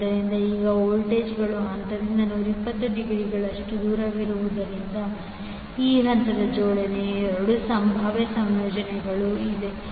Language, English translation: Kannada, So, now, since the voltages are 120 degree out of phase, there are 2 possible combinations for the arrangement of these phases